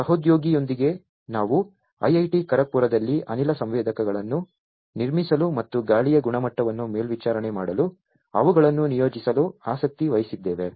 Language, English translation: Kannada, Along with a colleague we have taken interest in IIT Kharagpur to built gas sensors and deploy them for monitoring the air quality